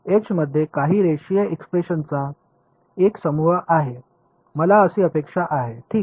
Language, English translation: Marathi, There will be some bunch of some linear expression in H is what I expect ok